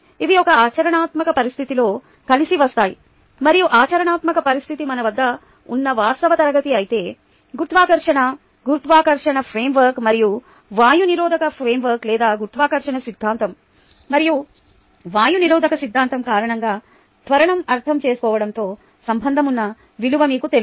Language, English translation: Telugu, they come together in a practical situation and the practical situation is the actual class that we have, whereas you know the value that is associated with understanding the gravity acceleration due to gravity framework and air resistance framework, or ah, gravity theory and air resistance theory, and so on, so forth, that we all know